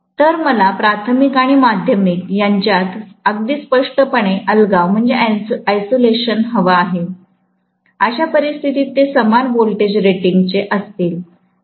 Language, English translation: Marathi, So, I want isolation very clearly between the primary and secondary, in which case they will be of the same voltage rating